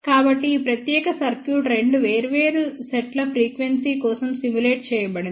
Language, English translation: Telugu, So, this particular circuit has been simulated for two different sets of frequency